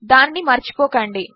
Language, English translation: Telugu, Dont forget that